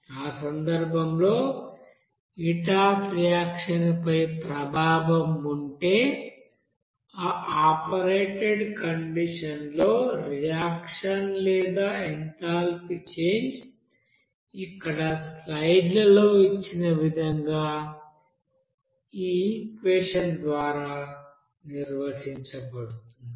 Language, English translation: Telugu, So in that case, if there is an effect on heat of reaction, the heat of reaction or enthalpy change of reaction at that operated condition to be defined by this equation as given in the slides here